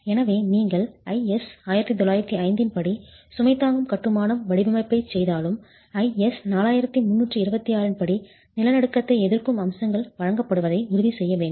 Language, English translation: Tamil, So, even if you do load bearing masonry design as per IS 1905, you must ensure that earthquake resisting features are provided as per IS 4326